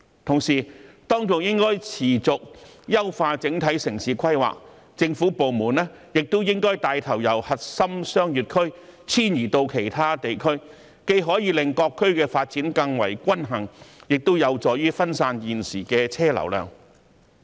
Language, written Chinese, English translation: Cantonese, 同時，當局應該持續優化整體城市規劃，政府部門亦應該帶頭由核心商業區遷移到其他地區，既可以令各區發展更為均衡，亦有助於分散現時的車流量。, At the same time the overall urban planning should be optimized continually with government departments taking the lead to relocate their offices from core business districts to other areas . This can better balance the development of various districts and help diversify the current traffic flow